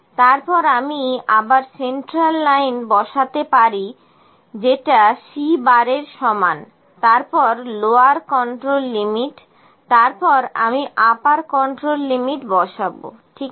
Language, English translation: Bengali, Then I can have just put my central line that is equal to C bar then lower control limit, then I will put my upper control limit, ok